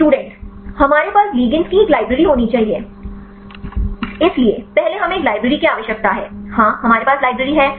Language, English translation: Hindi, we need to have a library of ligands So, first we need to have a library; so, ligand library we have